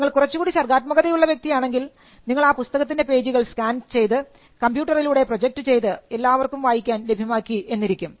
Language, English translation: Malayalam, If you are more creative, you could scan the page and put it on a computer screen or project it on a computer screen and whole lot of people can read